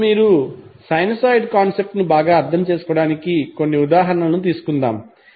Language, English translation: Telugu, Now let's take a few examples so that you can better understand the concept of sinusoid